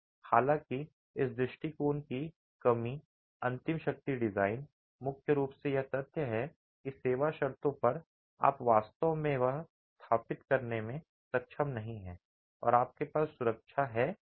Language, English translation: Hindi, However, the drawback of this approach, the ultimate strength design was primarily the fact that at service conditions you are really not able to establish whether you have safety or not